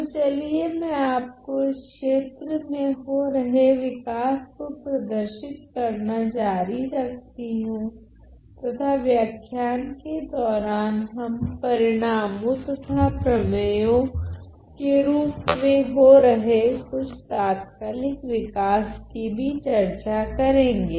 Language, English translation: Hindi, So, let me continue by showing you some of the development in this area and then we are going to discuss during the course of a lecture we are going to discuss some of these recent developments and in the form of results and theorems